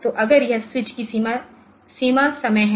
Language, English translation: Hindi, So, if this is the switch bounds time